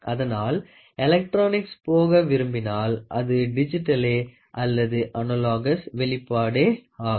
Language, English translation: Tamil, So, here if you want to go for electronic, it is digital otherwise, it is analogous output